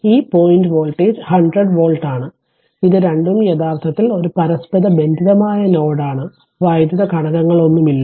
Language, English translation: Malayalam, So, this point voltage is 100 volt right and this 2 this this is actually a common node no electrical element is there